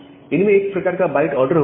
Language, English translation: Hindi, They have a kind of byte order